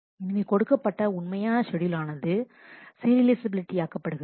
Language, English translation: Tamil, And therefore, the original schedule is serializable